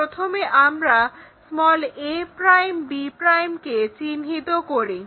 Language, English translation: Bengali, Let us join a 1 and b 1